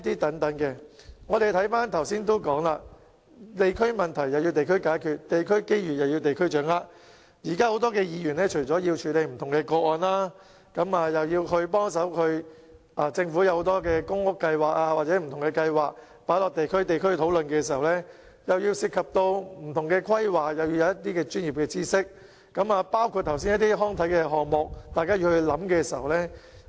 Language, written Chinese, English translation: Cantonese, 正如我剛才所說，"地區問題地區解決，地區機遇地區掌握"，現時很多議員除了要處理不同的個案外，政府提出很多公屋計劃或不同計劃亦須交由地區討論，而不同的規劃涉及很多專業知識，包括剛才提到的康體項目，大家又要進行研究。, As I said just now the principle is to address district issues at the local level and capitalize on local opportunities . At present many DC members have to handle a diversity of cases and this aside the Government has proposed many public housing schemes or various other schemes for discussion in the districts and different planning will involve plenty of professional knowledge including the recreational and sports projects that I have just mentioned which require us to conduct studies